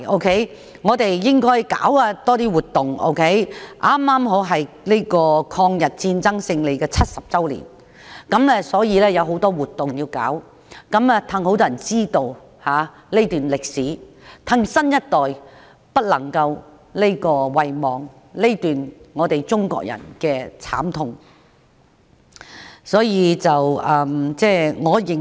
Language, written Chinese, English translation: Cantonese, 就是因為當年是抗日戰爭勝利70周年，應該多舉辦一些活動，讓更多人知道這段歷史，讓新一代不會遺忘中國人這段慘痛的歷史。, That was because 2015 marked the 70 anniversary of Chinas victory in the war against Japanese aggression and more activities should be organized to let more people know about the history so that our young generation would remember the suffering of Chinese people